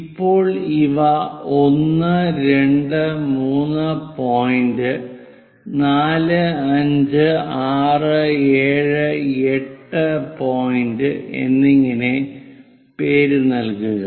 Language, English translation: Malayalam, Now name these as 1, 2, 3rd point, 4, 5, 6, 7 and 8th point; 8 divisions are done